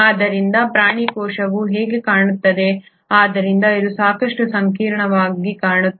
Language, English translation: Kannada, So this is how the animal cell look like, so though it looks fairly complex